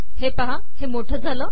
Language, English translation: Marathi, See its bigger